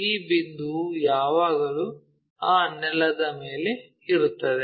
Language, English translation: Kannada, So, this point always be on that ground